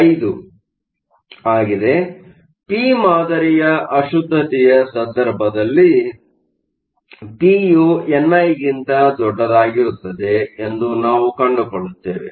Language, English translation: Kannada, So, in the case of a p type impurity, we find that p is much greater than n